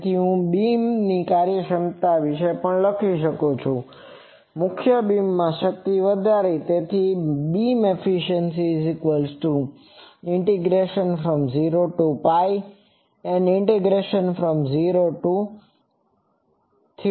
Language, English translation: Gujarati, So, I can also write beam efficiency that will be power in the main beam